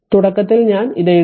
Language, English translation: Malayalam, Initially I have written for you